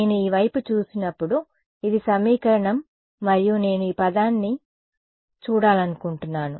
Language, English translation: Telugu, When I look at this side ok so, this is the equation and I want to look at this term ok